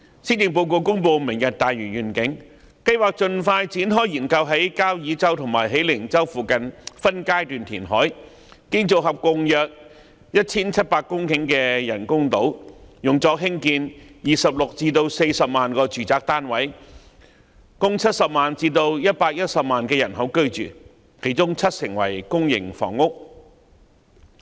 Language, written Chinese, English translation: Cantonese, 施政報告公布"明日大嶼願景"，計劃盡快展開研究在交椅洲和喜靈洲附近水域分階段填海，建造合共約 1,700 公頃的人工島，用作興建26萬至40萬個住宅單位，供70萬至110萬人口居住，當中七成為公營房屋。, The Policy Address announces the Lantau Tomorrow Vision and the intention to expeditiously commence studies on undertaking reclamation in phases in the waters near Kau Yi Chau and Hei Ling Chau for the purpose of building several artificial islands totalling around 1 700 hectares so as to construct 260 000 to 400 000 residential units to accommodate 700 000 to 1 100 000 people with public housing units accounting for 70 % of the units